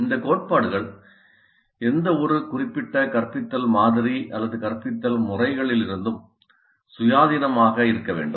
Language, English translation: Tamil, Now these principles are to be independent of any specific instructional model or instructional method